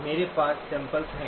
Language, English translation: Hindi, I have samples